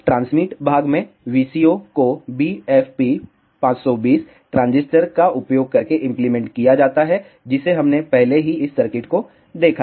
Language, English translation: Hindi, In transmit part the VCO is implemented using a BFP 520 transistor we have seen this circuit already